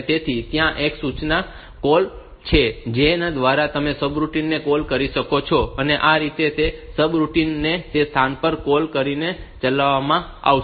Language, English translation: Gujarati, So, there is an instruction call by which you can call a subroutine, and that subroutine will be executed by calling it at that position